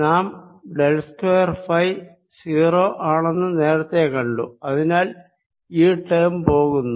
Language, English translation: Malayalam, however, we have seen the del square, phi zero, so this terms drops out